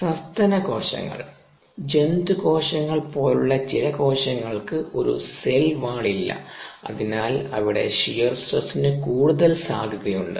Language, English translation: Malayalam, the mammalian cells and animal cells, do not have a cell wall and therefore they could be more susceptible to shear stress